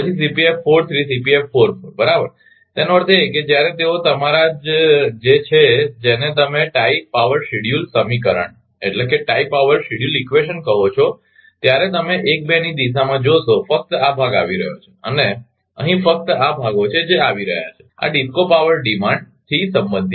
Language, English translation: Gujarati, 10 then Cpf 4 3 and Cpf 4 4 right that means, when when they are your what you call tie power schedule equation you will find in the direction of 1 2 only this this portion is coming and here only this portions are coming, this is related to the DISCOs power demand your